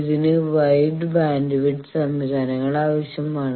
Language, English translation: Malayalam, Wide bandwidth systems are necessary